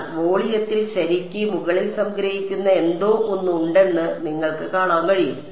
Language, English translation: Malayalam, But you can see that there is something in the volume which is being summed over right